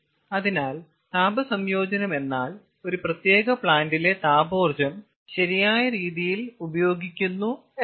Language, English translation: Malayalam, so heat integration means utilization of thermal in thermal ah energy in a particular plant in a proper fashion